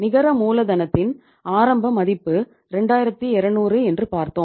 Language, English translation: Tamil, Initial value we had seen that the net working capital was 2200